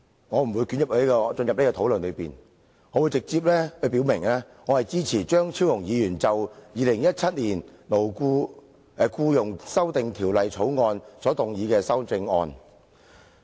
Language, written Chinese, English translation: Cantonese, 我不會作出這方面的討論，而會直接表明我支持張超雄議員就《2017年僱傭條例草案》提出的修正案。, Instead of discussing this subject area I will directly say that I support the amendments on the Employment Amendment Bill 2017 the Bill proposed by Dr Fernando CHEUNG